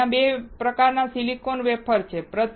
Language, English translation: Gujarati, Now, there are 2 types of silicon wafer